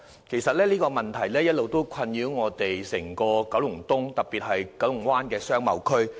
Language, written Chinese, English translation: Cantonese, 其實這問題一直困擾整個九龍東，特別是九龍灣的商貿區。, In fact this problem has been troubling the entire Kowloon East especially KBBA